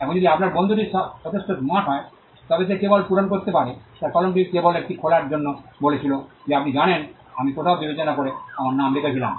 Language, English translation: Bengali, Now, if your friend is smart enough, he could just fill up, his pen just opens it up and say you know I had written my name somewhere discreetly